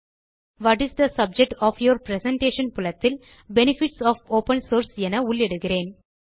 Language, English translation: Tamil, In the What is the subject of your presentation field, type Benefits of Open Source